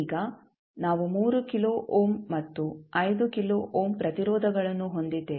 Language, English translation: Kannada, Now, we have 3 kilo ohm and 5 kilo ohm resistances